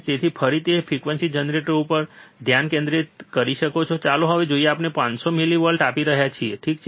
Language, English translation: Gujarati, So, again you can focus on the frequency generator, let us see now we are applying 500 millivolts, alright